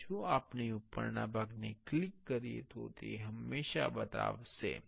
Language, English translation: Gujarati, And if we click the top part, it will always show